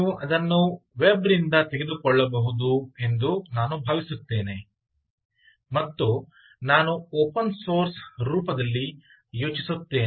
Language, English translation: Kannada, i think you can pick it up from from the web, its and, i think in open source